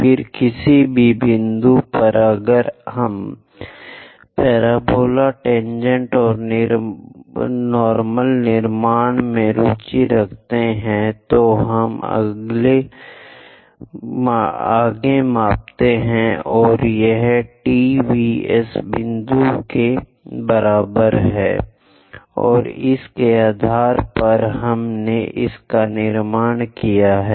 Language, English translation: Hindi, Then at any given point if we are interested in constructing parabola, tangent and normal, we went ahead measure this T V is equal to V S point and based on that we have constructed it